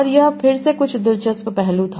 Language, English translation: Hindi, And this was again some interesting aspect